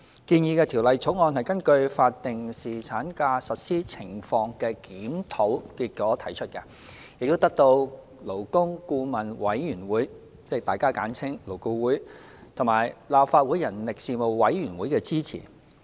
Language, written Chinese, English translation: Cantonese, 建議的《條例草案》根據法定侍產假實施情況的檢討結果提出，並得到勞工顧問委員會及立法會人力事務委員會的支持。, The proposed increase under the Bill is introduced in the light of the outcome of a review on the implementation of statutory paternity leave and it is supported by the Labour Advisory Board LAB and the Legislative Council Panel on Manpower